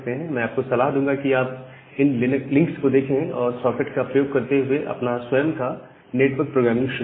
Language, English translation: Hindi, So, what I will suggest you to go to these particular links and start writing your own network programming using the socket